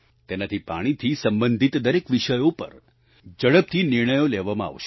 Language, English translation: Gujarati, This will allow faster decisionmaking on all subjects related to water